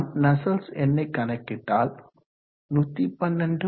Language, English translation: Tamil, 33 and calculating you will get nusselt number 112